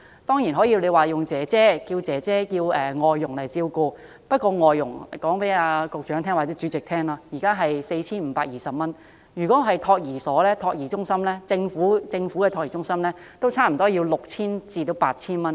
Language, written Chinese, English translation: Cantonese, 當然，可以聘請外傭照顧小孩，但我想告訴局長或主席，聘請外傭的費用為每月 4,520 元，而政府的託兒中心收費也是差不多 6,000 元至 8,000 元。, Of course they can hire foreign domestic helpers to do so but I wish to tell the Secretary or President that it costs 4,520 a month to hire a domestic helper and government childcare centres charge about 6,000 to 8,000 a month